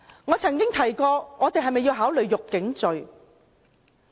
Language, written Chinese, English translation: Cantonese, 我曾提過是否要考慮訂立辱警罪。, I once proposed considering the need for making it an offence to insult the Police